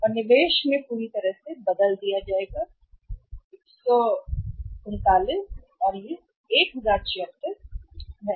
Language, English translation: Hindi, And totally changed in the investment will be 139 and it is 1076 right